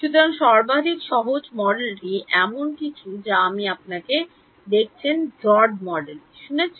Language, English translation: Bengali, So, the simplest model is actually something that you have seen you have heard of Drude model